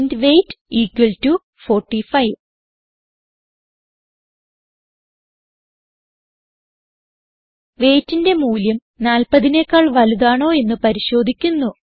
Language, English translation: Malayalam, int weight equal to 45 We shall check if the value in weight is greater than 40